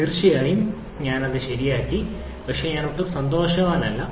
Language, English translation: Malayalam, Of course, I corrected that but I am not at all happy